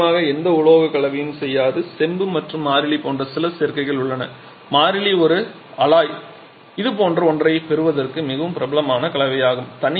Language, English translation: Tamil, Of course any combination of metals will not do there are certain combinations like copper and constantan is a constant and is an alloy there is a very popular combination to get something like this